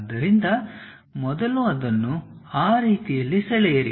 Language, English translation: Kannada, So, first draw that one in that way